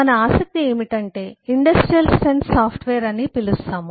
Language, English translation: Telugu, what we are interested in is what eh we call is industrial strength software